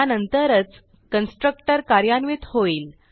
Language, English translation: Marathi, Only then the constructor is executed